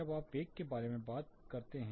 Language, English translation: Hindi, Then you can talk about the velocity